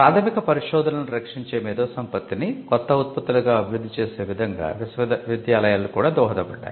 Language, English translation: Telugu, Universities also contributed in a way that the IP that protected the initial research could be developed into new products